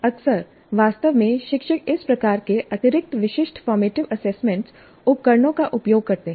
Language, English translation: Hindi, Now quite often actually teachers use these kind of additional specific formative assessment instruments